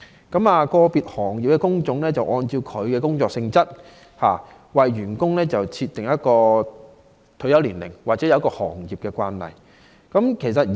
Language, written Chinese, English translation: Cantonese, 個別行業的工種按其工作性質為員工設定退休年齡，或遵從行業的退休慣例。, The retirement age of different occupations is set according to the nature of the job or the practice of the trade